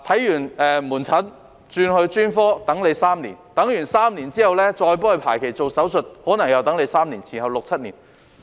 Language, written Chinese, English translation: Cantonese, 看門診後轉專科需等候3年 ，3 年之後再排期做手術，可能又需等候3年，前後合共六七年。, After receiving outpatient consultation they had to wait three years for referral to specialist services . Three years later they might have to wait another three years for surgery . The total waiting time amounted to six to seven years